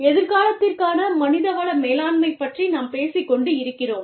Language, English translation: Tamil, We are talking about, human resource management, for the future